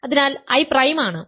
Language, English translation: Malayalam, So, I is prime